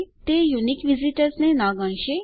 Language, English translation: Gujarati, It wont count unique visitors